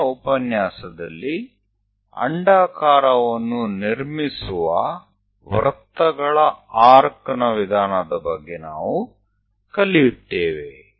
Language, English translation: Kannada, In the next lecture, we will learn about arc of circles methods to construct an ellipse